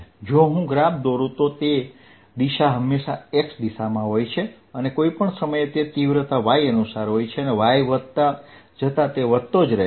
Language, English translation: Gujarati, if i plot it, its direction is always in the x direction and at any point its magnitude is according to y and it keeps on increasing as y increases on the negative y side